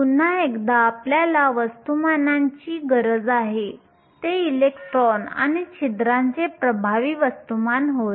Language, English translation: Marathi, Once again we need the masses, the effective masses of the electrons and holes